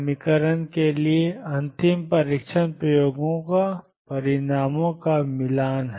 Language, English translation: Hindi, The ultimate test for the equation is matching of results with experiments